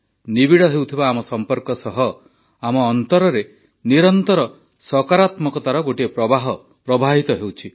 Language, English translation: Odia, And our ever deepening bonds are creating a surge of a flow of constant positivity within us